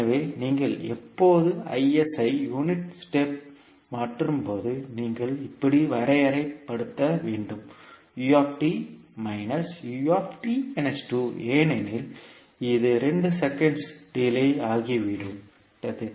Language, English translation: Tamil, So when you convert Is into two unit step functions you will represent it like u t minus u t minus two because it is delayed by two seconds